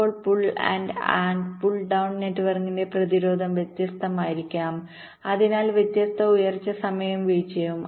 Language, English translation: Malayalam, now the resistances of the pull up and pull down network may be different, which means different rise time and fall times